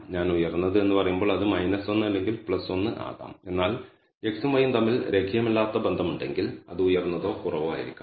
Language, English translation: Malayalam, When I say high it can be minus 1 or plus 1, but if there is a non linear relationship between x and y it may be high or it may be low